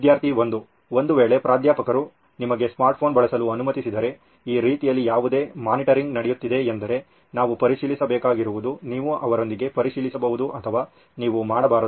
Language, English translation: Kannada, In case if the Professor allows you to use a smart phone, so is there any monitoring happening like this is what we have to check, you can check with them or you should’nt do